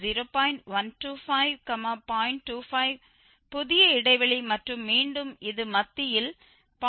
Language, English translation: Tamil, 5 is the new interval and then again the middle of this will give 0